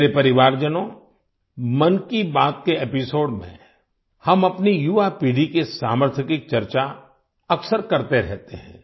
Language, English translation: Hindi, My family members, in episodes of 'Mann Ki Baat', we often discuss the potential of our young generation